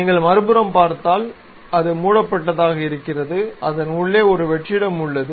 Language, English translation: Tamil, So, if you are seeing on other side, it is close; inside it is a hollow one